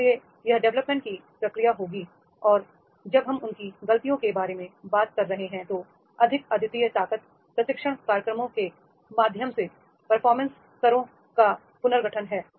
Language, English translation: Hindi, So therefore this will be the development process will be there and when we are talking about the their mistakes, more unique strengths, the reorganization of performance levels through their training programs